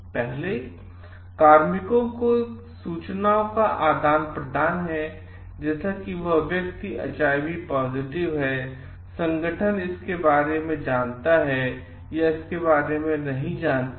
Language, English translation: Hindi, First is the sharing of information of personnel information like, if this person is HIV positive to the organization know about it or do not know about it